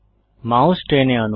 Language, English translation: Bengali, Drag your mouse